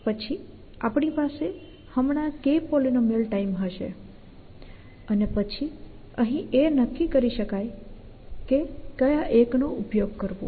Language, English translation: Gujarati, Then we will just have now, K times that time polynomial time will be able to decide on which 1 to use here